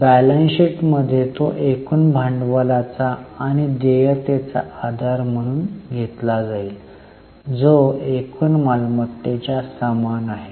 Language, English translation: Marathi, In balance sheet it will be taken as a base of total of capital and liabilities which is same as total of assets